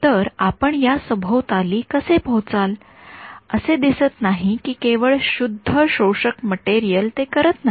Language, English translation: Marathi, So, how will you get around this, it does not seem that just pure absorbing material is not going to do it